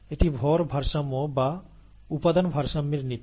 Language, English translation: Bengali, This is a principle of mass balance or material balance